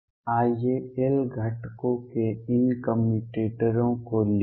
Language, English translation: Hindi, Let us write these commutators of L components